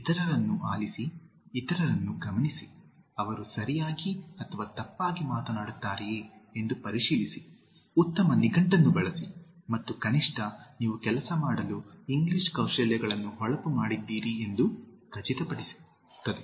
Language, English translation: Kannada, Listen to others, observe others, check whether they are speaking correctly or wrongly, use a good dictionary and that will ensure that at least you have polished English Skills to work with